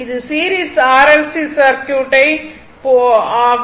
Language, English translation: Tamil, So, next is that series R L C circuit